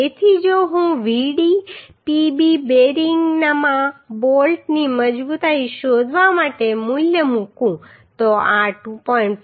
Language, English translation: Gujarati, So if I put the value to find out the strength of bolt in bearing Vdpb so this will become 2